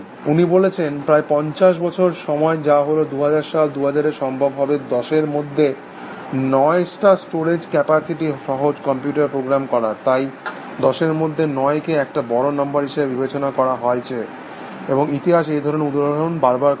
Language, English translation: Bengali, He says that in about fifty years of time, which is 2000 in year, 2000 will be possible to program computers with a storage capacity of 10 is to 9, so 10 is to 9 was considered to be a big number, and histories repeat with these kind of example